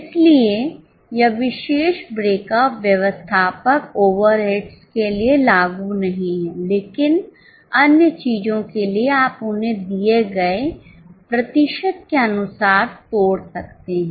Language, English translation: Hindi, So, this particular breakup is not applicable to admin over eds, but for other things you can break them down as per the given percentage